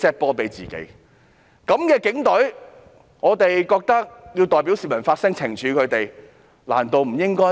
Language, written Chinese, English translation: Cantonese, 面對這樣的警隊，我們認為有需要代表市民發聲來懲處他們，難道不應該嗎？, It turned out that this case was plotted by himself . In the face of such a police force we consider it necessary to speak out on behalf of the public in order to penalize them should we not do so?